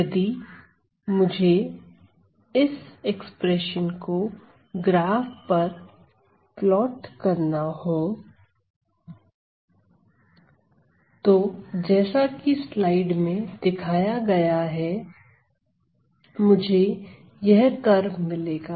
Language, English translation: Hindi, So, if I were to plot this expression over this on this graph I am going to get the following curve